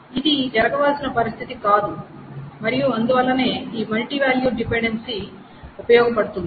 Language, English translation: Telugu, So that is not a desirable situation and this is why this multivalued dependency is useful